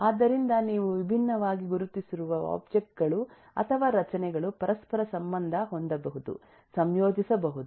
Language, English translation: Kannada, so there are different, these are different ways that the objects or structures that you have identified can be interrelated, can be associated